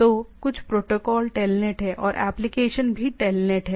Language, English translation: Hindi, So, something the protocol is telnet; and the application is also telnet